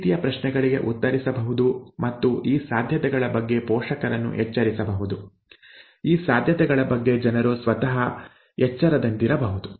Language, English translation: Kannada, Okay, these kind of questions can be answered and the parents can be alerted to these possibilities, the people can themselves be alerted to these possibilities